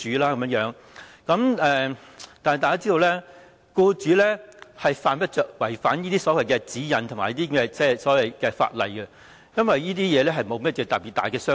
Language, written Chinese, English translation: Cantonese, 但是，大家也知道，僱主犯不着違反這些所謂指引和法例，因為這些對他來說沒有甚麼特別大傷害。, However we know that employers have no reasons to violate these so - called guidelines and regulations which can do no particular harm to them